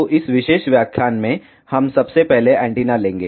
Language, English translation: Hindi, So, in this particular lecture we will be firstly taking antenna